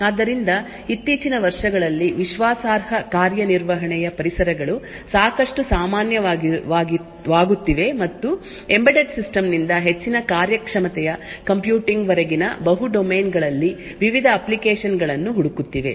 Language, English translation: Kannada, So, Trusted Execution Environments are becoming quite common in the recent years and finding various applications in multiple domains ranging from embedded system to high performing computing